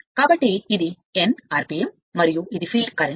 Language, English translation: Telugu, So, this is your n rpm and this is your field current right